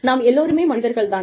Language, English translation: Tamil, We are all human